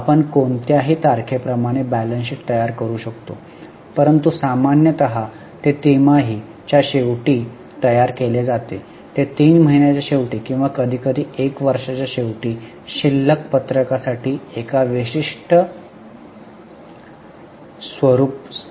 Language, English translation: Marathi, We can make balance sheet as on any date, but normally it prepared at the end of the quarter maybe at the end of three months or sometimes at the end of one year